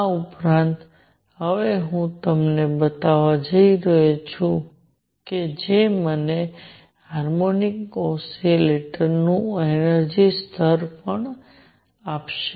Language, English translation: Gujarati, In addition, now I am going to show you that will give me the energy levels of a harmonic oscillator also